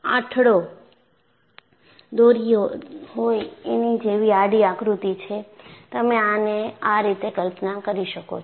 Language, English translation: Gujarati, It is like a figure of eight, horizontally; you can imagine it that way